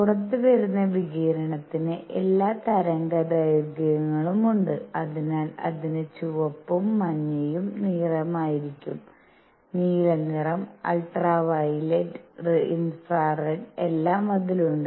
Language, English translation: Malayalam, Radiation coming out has all wavelengths, so it will have red color, yellow color, blue color, ultraviolet, infrared everything it has